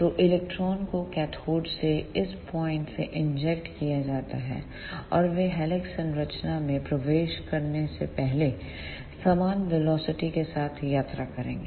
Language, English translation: Hindi, So, electrons are injected from this point from cathode, and they will travel with uniform velocity before entering into the helix structure